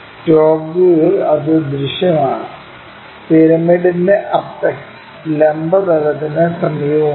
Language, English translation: Malayalam, And that is visible in the top view, with apex of the pyramid being near to vertical plane